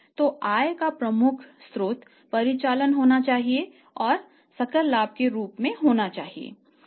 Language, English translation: Hindi, So, major source of the income, major source of the profit must be the operations and that to be in the form of gross profit